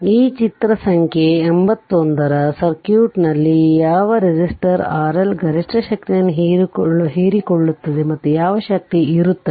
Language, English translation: Kannada, So, in the circuit of figure 81 what resistor R L will absorb maximum power and what is the power